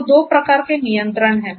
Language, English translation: Hindi, So, there are two types of control